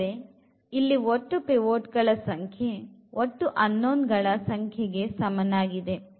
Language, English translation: Kannada, So, the number of pivots here is equal to number of unknowns